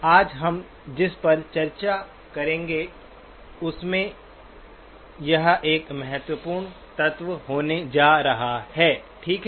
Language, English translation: Hindi, That is going to be an important element in what we will discuss today, okay